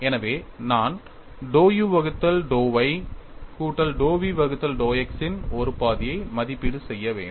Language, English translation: Tamil, So, I will have to evaluate one half of dou u by dou y plus dou v by dou x